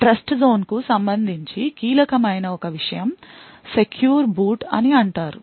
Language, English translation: Telugu, One thing that is critical with respect to a Trustzone is something known as secure boot